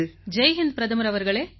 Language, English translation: Tamil, Jai Hind, Hon'ble Prime Minister